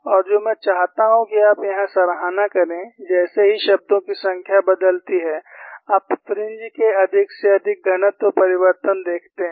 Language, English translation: Hindi, And what I want you to appreciate here is, as the number of terms changes, you see more and more density change of the fringe